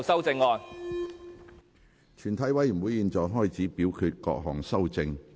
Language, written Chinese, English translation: Cantonese, 全體委員會現在開始表決各項修正案。, The committee will now put to vote the amendments